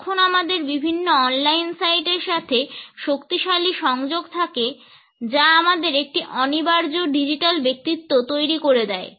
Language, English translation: Bengali, Particularly, when there is a strong connectivity of different on line sites, which creates an inescapable digital personality